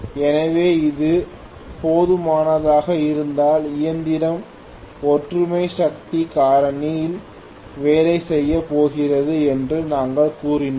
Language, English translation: Tamil, So, we said if this is just sufficient then the machine is going to work at unity power factor